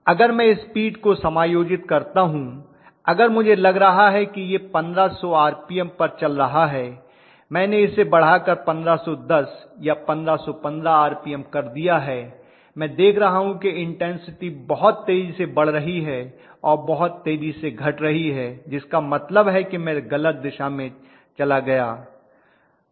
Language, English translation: Hindi, If I adjust the speed may be I am thinking that it is running at 1500 I have increased it to 1510 1515 RPM, I am seeing that may be the intensity is very fast it is actually increasing and decreasing very very fast that mean I have gone in the wrong direction, so I have to come back